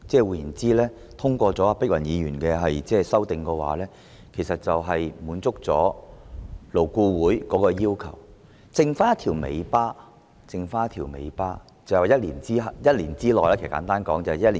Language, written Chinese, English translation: Cantonese, 換言之，如黃議員的修正案獲得通過，便能滿足勞顧會的要求，餘下的只是一條尾巴，簡單來說，就是1年後將侍產假增至7天。, In other words if Dr WONGs amendment is passed LABs requirements will be met; and the only outstanding matter is simply put to increase paternity leave to seven days after a year